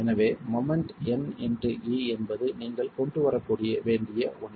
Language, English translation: Tamil, So moment is n into e is something that you need to bring in